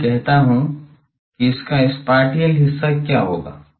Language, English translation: Hindi, Now let me say that what will be the spatial part of this